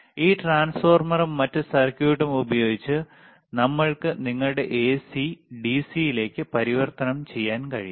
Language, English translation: Malayalam, And using this transformer and the another circuit, we can convert your AC to DC